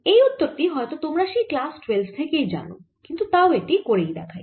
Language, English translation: Bengali, probably you know this result from your twelfth grade, but any well as do it